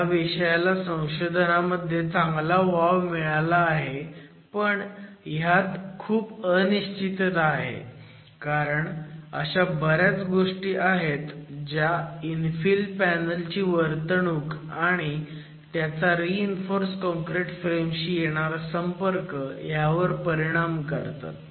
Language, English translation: Marathi, This is an area which has received adequate research focus but is a subject which has a significant amount of uncertainties because there are several parameters that govern the behavior of an infill panel and then its interaction with a reinforced concrete frame